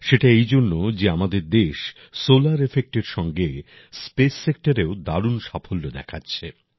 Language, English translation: Bengali, That is because our country is doing wonders in the solar sector as well as the space sector